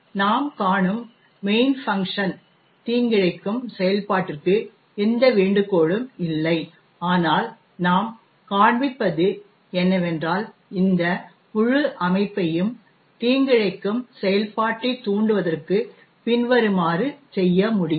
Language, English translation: Tamil, Note that, the main function we see over here there is no invocation of malicious function but what we will show is that we can trick this entire system into invoking the malicious function, let say this as follows